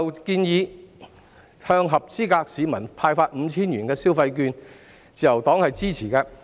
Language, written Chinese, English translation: Cantonese, 關於向合資格市民派發 5,000 元消費券的建議，自由黨是支持的。, The Liberal Party supports the proposal to issue electronic consumption vouchers with a total value of 5,000 to each eligible member of the public